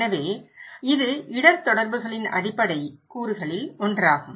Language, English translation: Tamil, So, this is one of the basic components of risk communications